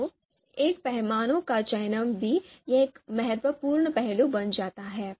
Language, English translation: Hindi, So selection of a scale also becomes an important aspect here